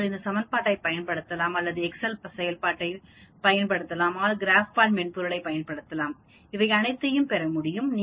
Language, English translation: Tamil, You can use this equation or we can use the Excel function or we can use the GraphPad software also